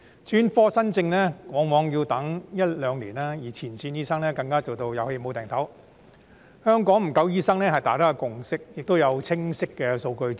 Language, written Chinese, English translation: Cantonese, 專科門診新症往往要輪候一兩年，而前線醫生更做到"有氣冇掟抖"，香港醫生不足是大家的共識，亦有清晰的數據支持。, New cases for specialist outpatient services often have to wait for one to two years and frontline doctors are even rushed off their feet . There is a consensus that Hong Kong faces a shortage of doctors which is also supported by clear statistics